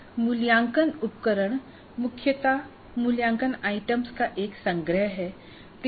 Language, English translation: Hindi, Now an assessment instrument essentially is a collection of assessment items